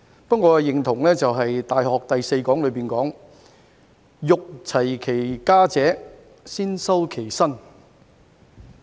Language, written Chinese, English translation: Cantonese, 不過，我認同《大學》第四講所說，"欲齊其家者，先修其身"。, However I agree with the fourth section of The Great Learning which says Wishing to regulate their families they first cultivated their persons